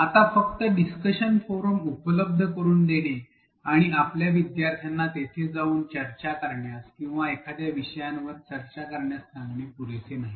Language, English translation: Marathi, Now, it is not sufficient to simply make available a discussion forum and tell our learners to go and discuss or even to go and discuss about a topic